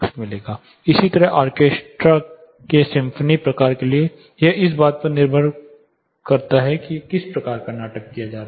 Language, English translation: Hindi, Similarly, for symphony kind of orchestras it depends on what kind of play is performed